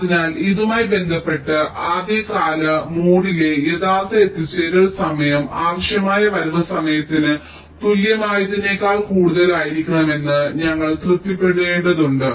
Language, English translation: Malayalam, so with respect to this, we will have to satisfy that the actual arrival time in the early mode must be greater than equal to the required arrival time